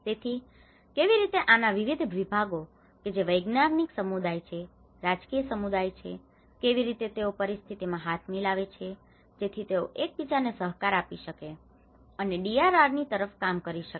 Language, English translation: Gujarati, So, this is how these various segments of these whether it is a scientific community, is a political community, how they can come with a hands on situations so that they can cooperate with each other and work towards you know DRR